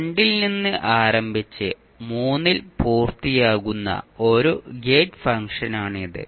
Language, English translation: Malayalam, This is a gate function which starts from two and completes at three